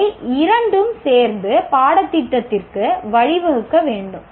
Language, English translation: Tamil, These two together will, should lead to the curriculum